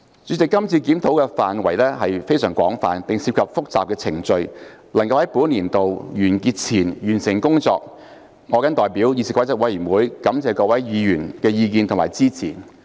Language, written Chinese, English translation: Cantonese, 主席，這次檢討範圍非常廣泛，並涉及複雜的程序，能夠在本年度完結前完成工作，我謹代表議事規則委員會感謝各位議員的意見及支持。, President the current review covers many different areas and involves complicated procedures . I thank Members on behalf of the Committee for their opinions and support which have enabled us to finish the work before the end of the current session